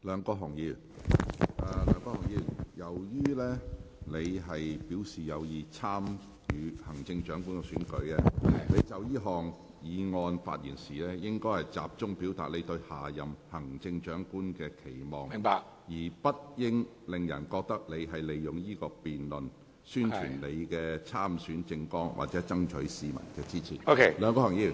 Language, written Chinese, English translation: Cantonese, 梁國雄議員，由於你已表示有意參與行政長官選舉，你就這項議案發言時，應集中表達你對下任行政長官的期望，而不應令人覺得你利用這項辯論宣傳你的參選政綱，或爭取市民的支持。, Mr LEUNG Kwok - hung as you have already indicated your intention to run in the upcoming Chief Executive Election you should focus your motion speech on your expectations for the next Chief Executive and should not give people the impression that you are using this motion debate to promote your election manifesto or to solicit public support